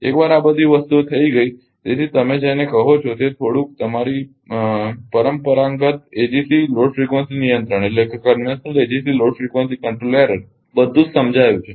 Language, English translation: Gujarati, Once all this things done; so, little bit your what you call that conventional ah your ah conventional ah EGC load frequency control right everything is explained